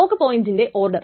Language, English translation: Malayalam, In the order of lock points